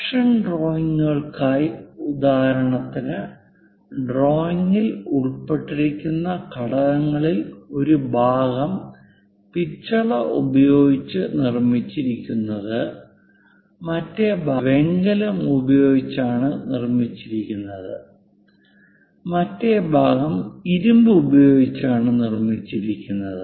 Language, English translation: Malayalam, For production drawings, the components involved in the drawing for example, like one part is made with brass, other part is made with bronze, other part is made with iron